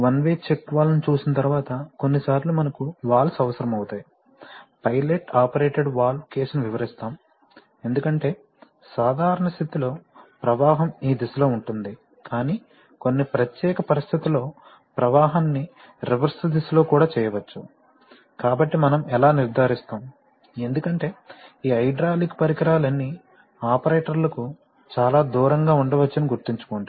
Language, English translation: Telugu, Having seen one way check valve, sometimes we need valves, you know we will demonstrate a case of pilot operated valves because sometimes we also want that, in the normal condition, it, flow will be in this direction but under certain special conditions, the flow can be made in the reverse direction also, so how do we ensure that, so sometimes we, because remember that these, all this hydraulic equipment can actually be quite far away from the operators, where the operators are working